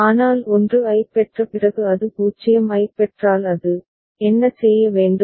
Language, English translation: Tamil, But after getting 1 if it receives 0 then what it has to do